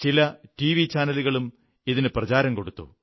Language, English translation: Malayalam, Some TV channels also took this idea forward